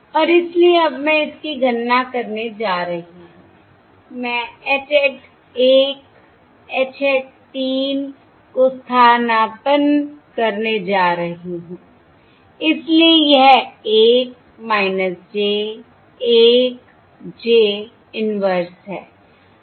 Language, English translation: Hindi, okay, And therefore, now I am going to calculate this, I am going to substitute H hat 1 H hat 3